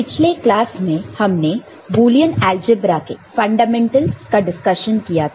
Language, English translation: Hindi, Hello everybody, in the last class we discussed fundamentals of Boolean algebra